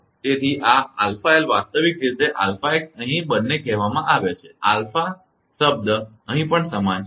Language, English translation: Gujarati, So, this alpha l actually alpha x here both are say alpha term is same here also here also